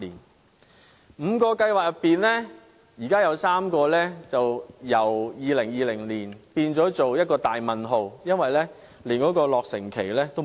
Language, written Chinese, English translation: Cantonese, 在現時5個計劃中，有3個的落成時間更由2020年變了一個大問號，是連落成日期也欠奉的。, Among the five projects currently three projects were previously scheduled for completion in 2020 yet the dates have subsequently been postponed and that they do not even have a timetable for completion at the moment